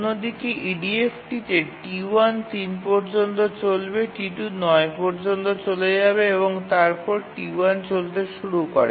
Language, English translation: Bengali, On the other hand, in EDF T1 will run up to 3, T2 will run up to 9 and then T1 will run up to 9 and then T1 will run